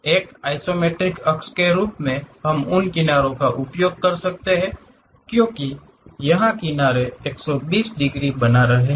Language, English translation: Hindi, One can use those edges as the isometric axis; because here the edges are making 120 degrees